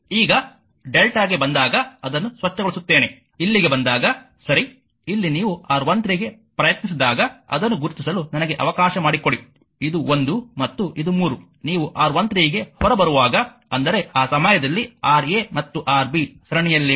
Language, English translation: Kannada, Now when you come to delta let me clean it, when you come to delta here right here when you try to R 1 3; let me mark it right this is your 1 and this is 3 when you your coming out to your R 1 3; that means, in that time Ra and Rb are in series right